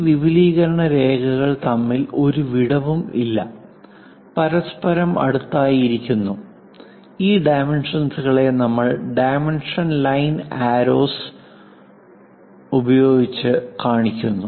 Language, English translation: Malayalam, There is no gap between these extension lines, next to each other we are showing dimensions, through these dimension lines arrows